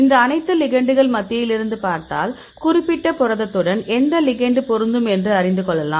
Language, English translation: Tamil, So, see from among all these ligands, which ligand will fit with this particular protein